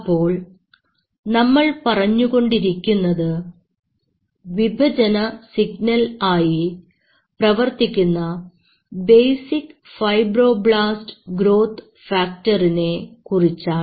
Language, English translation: Malayalam, So, here we are talking about basic fibroblase growth factor, which is a known dividing signal